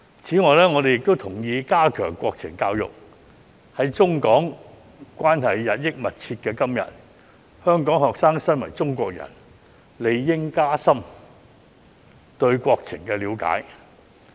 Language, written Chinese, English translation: Cantonese, 此外，我同意加強國情教育，在中港關係日益密切的今天，香港學生身為中國人，理應加深對國情的了解。, Furthermore I agree that national education should be strengthened . At a time when China - Hong Kong relations have become increasingly closer Hong Kong students as Chinese people should gain a deeper understanding of our country and its situation